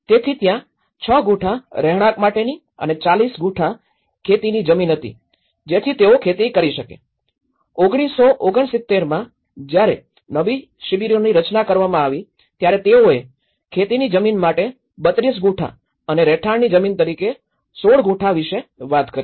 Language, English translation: Gujarati, So, there were 6 Gunthas of residential and 40 Gunthas of farmland so that they can do the farming and whereas, in 1969 when the new camps have been formed, so where they talked about 32 Gunthas in a farmland and the 16 Gunthas as a residential land